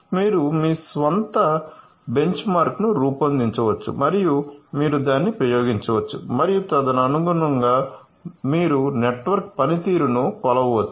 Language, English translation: Telugu, So, you can design your own benchmark and you can experiment it so and accordingly you can measure the network performance